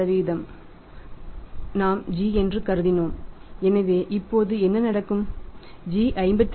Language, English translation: Tamil, 5% we have assumed g so what will happen now g we will become that is rupees 52